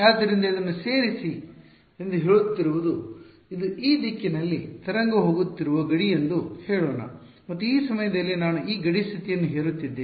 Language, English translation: Kannada, So, what is just saying that add this let us say this is this is the boundary the wave is going in this direction and at this point I am imposing this boundary condition